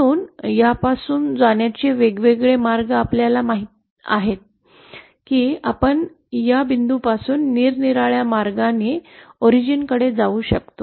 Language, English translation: Marathi, So the various ways for going from this you know we can go from this point to the origin in various ways